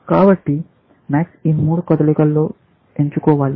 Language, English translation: Telugu, So, max has chosen within these three moves